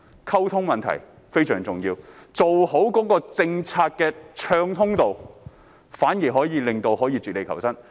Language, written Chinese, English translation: Cantonese, 溝通問題非常重要，好的政策讓漁民可絕地求生。, Communication is extremely important . Good policies will enable fishermen to survive this desperate time